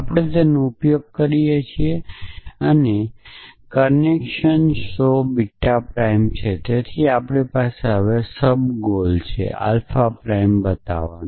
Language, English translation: Gujarati, So, we use it is connection show beta prime so we have sub goal now show alpha prime